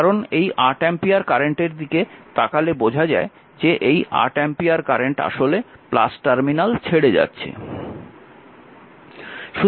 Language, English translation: Bengali, So, this 8 ampere current actually this current actually come leaving the plus terminal right